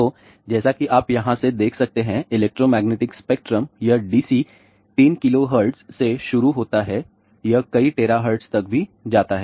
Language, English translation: Hindi, So, the electromagnetic spectrum; as you can see from here, it starts from DC 3 kilohertz all the way, it goes to several tera hertz also ok